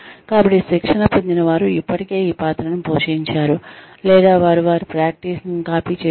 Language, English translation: Telugu, So, the trainees have already played the role, or they have copied their practice